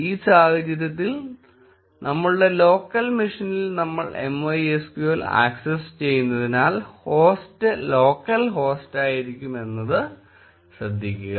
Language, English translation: Malayalam, Note that in this case, the host will be local host since we are accessing MySQL on our local machine